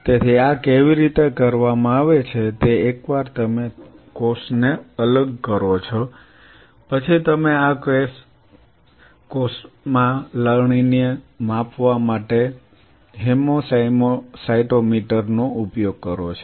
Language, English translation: Gujarati, So, how this is being done is once you isolate the cell, then you do a hemo use a hemocytometer, hemo cytometer to quantify the harvest in this case cell